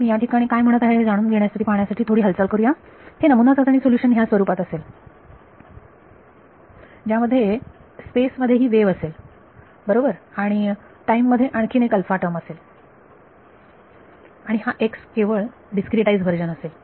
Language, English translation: Marathi, Let us take a movement to observe this what am I saying over here, the trial solution is of this form where there is a wave in space all right and there is some alpha term in time this x is simply the discretize version